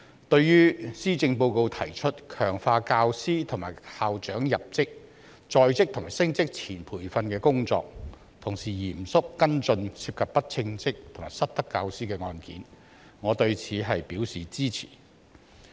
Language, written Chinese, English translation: Cantonese, 對於施政報告提出強化教師及校長入職、在職及升職前培訓的工作，同時嚴肅跟進涉及不稱職及失德教師的案件，我對此表示支持。, I support the proposals made in the Policy Address to strengthen the training of teachers and principals upon their appointment during their service and before their promotion and also to take stringent actions against teachers who are incompetent or found misconducted